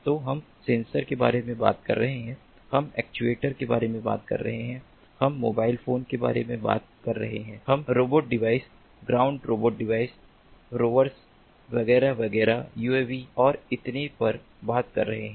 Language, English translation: Hindi, so we are talking about sensors, we are talking about ah actuators, we are talking about mobile phones, we are talking about robotic devices, ground robotic devices, rovers, etcetera, etcetera, uavs and so on